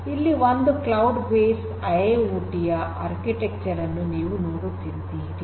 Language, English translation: Kannada, So, this is a cloud based IIoT architecture so as you can see over here